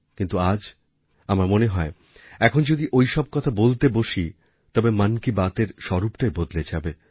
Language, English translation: Bengali, But today, I think, if I change the course of the conversation that way, the entire complexion of 'Mann Ki Baat' will change